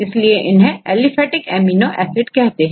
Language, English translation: Hindi, So, they are called aliphatic amino acids